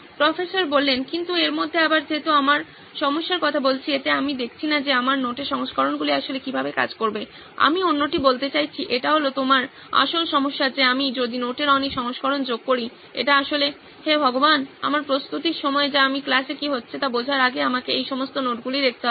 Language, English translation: Bengali, But in this again since we are talking about problems, in this I am not seeing how these pictures of my notes will actually act, I mean as another is it that your original problem that if I add too many versions of the notes, it is actually leading to Oh God, my time of preparation that I have to look through all these notes before I can figure out what is going on in the class